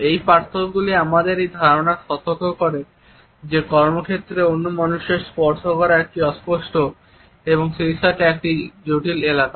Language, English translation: Bengali, These differences alert us to this idea that touching other human beings in a workplace is a fuzzy as well as a complex area